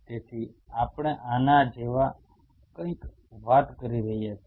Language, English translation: Gujarati, So, we are talking about something like this